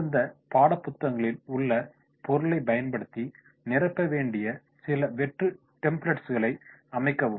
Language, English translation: Tamil, Set up some blank templates to be filled in by using the material covered in the respective textbooks